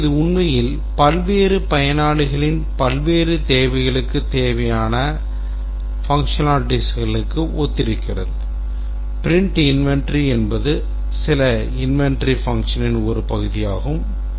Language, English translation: Tamil, So, this actually correspond to the functionalities required by various other various requirements